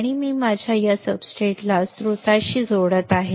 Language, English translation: Marathi, And I am connecting my substrate to the source